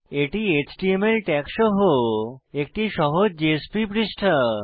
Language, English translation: Bengali, It is a simple JSP page with HTML tags only